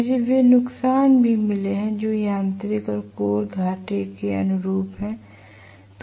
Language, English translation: Hindi, I have also got the losses which are corresponding to mechanical losses and core losses